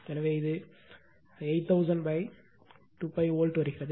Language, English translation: Tamil, So, it comes around 8000 by 2 pi volt right